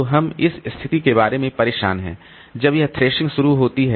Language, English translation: Hindi, So, we are bothered about this situation when this thrashing initiates